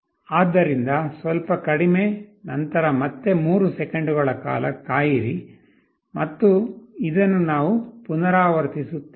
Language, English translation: Kannada, So, a little less, then again wait for 3 seconds and this we repeat